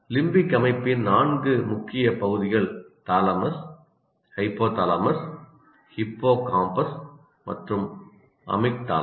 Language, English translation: Tamil, The four major parts of the limbic system are thalamus, hypothalamus, hippocampus, and amygdala